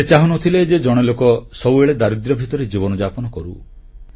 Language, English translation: Odia, He did not want anybody to languish in poverty forever